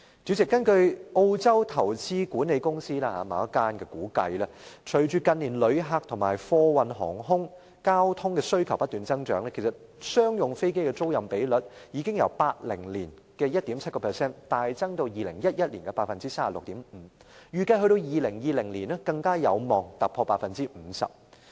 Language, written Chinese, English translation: Cantonese, 主席，根據澳洲某間投資管理公司估計，隨着近年旅客人數和貨運航空交通的需求不斷增長，商用飛機的租賃比率已由1980年的 1.7% 大幅增至2011年的 36.5%， 預計2020年更有望突破 50%。, President according to the estimation done by an investment management company in Australia as the number of tourists and demand for air cargo traffic have been increasing in recent years the lease ratio of commercial aircraft has increased significantly from 1.7 % in 1980 to 36.5 % in 2011 and is expected to exceed 50 % in 2020